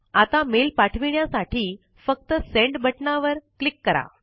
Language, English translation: Marathi, Now, to send the mail, simply click on the Send button